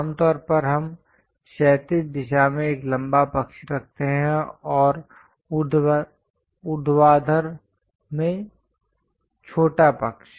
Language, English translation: Hindi, Usually, we keep a longer side in the horizontal direction and the vertical shorter side